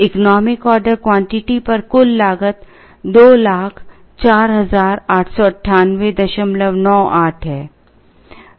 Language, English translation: Hindi, The total cost at economic order quantity is 204898